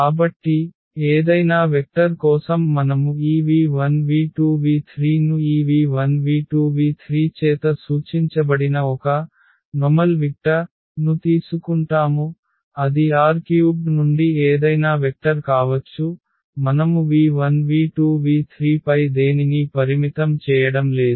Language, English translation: Telugu, So, for any vector so we take a general vector this v 1, v 2, v 3 which we have denoted by this v 1, v 2, v 3 that can be any vector from R 3, we are not restricting anything on v 1, v 2, v 3